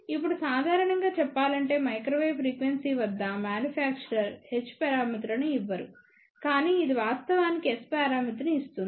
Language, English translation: Telugu, Now generally speaking a manufacturer at microwave frequency does not give h parameters, but it actually gives S parameter